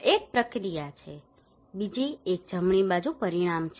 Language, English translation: Gujarati, One is the process one, another one is right hand side is the outcome one